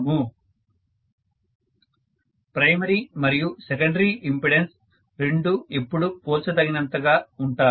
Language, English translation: Telugu, Are the primary and secondary impedances always comparable